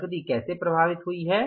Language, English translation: Hindi, How the cash has been affected